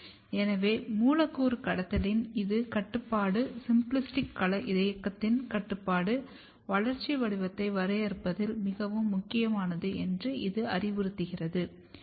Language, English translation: Tamil, So, this suggest that this control of the molecular trafficking, control of the symplastic domain movement is very important in defining the developmental patterning